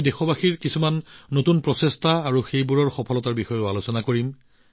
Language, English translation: Assamese, We will discuss to our heart's content, some of the new efforts of the countrymen and their success